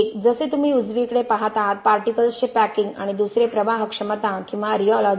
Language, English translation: Marathi, One, as you see on the right, packing of particles and the other one on flowability or rheology